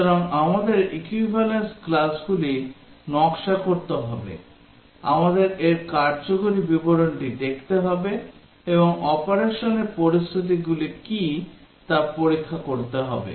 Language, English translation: Bengali, So we need to design equivalence classes, we need to look at the functional description of this and check what are the scenarios of operation